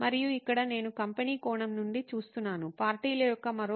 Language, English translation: Telugu, And here I am looking at from the company perspective, the other side of the parties